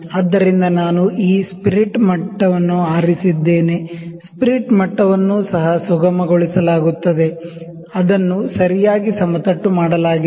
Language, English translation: Kannada, So, I have put picked this spirit level, spirit level is also smoothened, it is grounded properly